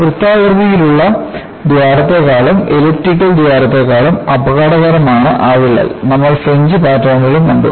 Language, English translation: Malayalam, And, in order to emphasize that, crack is more dangerous than a circular hole or an elliptical hole; we also saw the fringe patterns